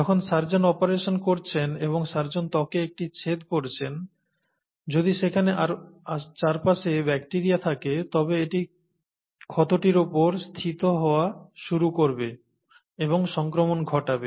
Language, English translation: Bengali, Whereas when the surgeon is operating, and when the surgeon is making an incision in the skin, if there are bacteria around, it will start settling in this wound and that will cause infection